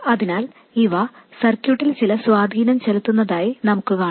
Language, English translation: Malayalam, They will have some effect on the circuit